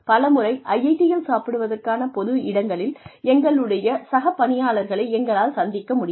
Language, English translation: Tamil, Many times, in IIT, we are only able to meet our colleagues, in the common eating areas